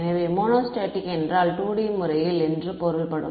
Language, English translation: Tamil, So, monostatic means I means the 2 D case